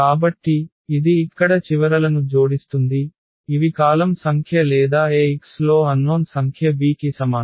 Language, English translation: Telugu, So, this will add to the end here which are the number of columns or the number of unknowns in Ax is equal to b